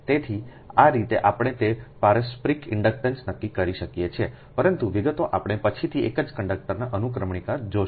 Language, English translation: Gujarati, so this way we can determine that mutual inductance but details we will see later